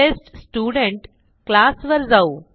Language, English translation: Marathi, Let us go to the TestStudent class